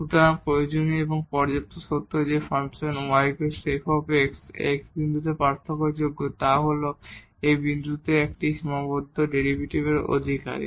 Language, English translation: Bengali, So, the necessary and sufficient condition that the function y is equal to f x is differentiable at the point x is that it possesses a finite derivative at this point